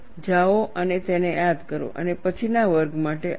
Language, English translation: Gujarati, Go and brush up that, and come for the next class